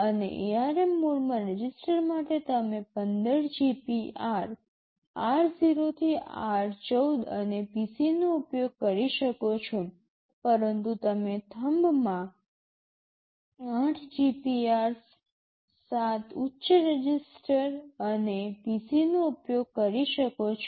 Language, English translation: Gujarati, And for registers in ARM mode, you can use the 15 GPR r0 to r14 and the PC, but in Thumb you can use the 8 GPRs, 7 high registers and PC